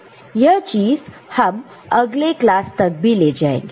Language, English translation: Hindi, So, it will be extended to next class as well